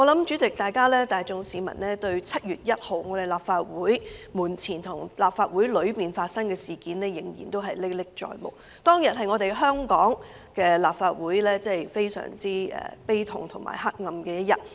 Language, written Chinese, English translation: Cantonese, 主席，我相信市民大眾對7月1日在立法會門前及裏面發生的事件仍然歷歷在目。當日是香港立法會非常悲痛和黑暗的一天。, President I believe the general public can still remember clearly what happened in front of and inside the Legislative Council Complex on 1 July a sorrowful day of darkness of the Hong Kong Legislative Council